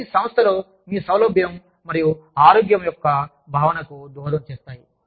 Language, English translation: Telugu, All of this contributes to, your feeling of comfort and wellness, within the organization